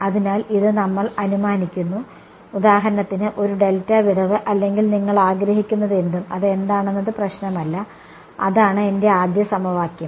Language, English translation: Malayalam, So, this we are assuming, for example, a delta gap or whatever you want does not matter what it is, that is my first equation